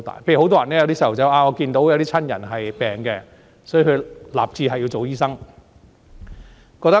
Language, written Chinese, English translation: Cantonese, 例如，有小孩看到親人病了，所以立志做醫生。, For example a child who witnesses a sick family member may determine to be a doctor